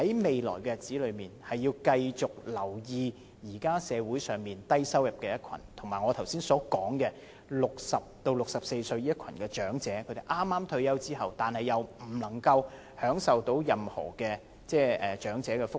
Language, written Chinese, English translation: Cantonese, 未來的日子，政府要繼續留意社會上低收入人士，以及我剛才提到60歲至64歲的一群長者——他們剛退休，但享受不到任何長者福利。, In future the Government needs to continue to pay attention to the low - income earners in society and the group of elderly persons aged 60 to 64 who have just retired but cannot enjoy any elderly welfare